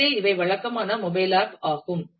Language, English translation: Tamil, So, these are the typical kinds of mobile apps that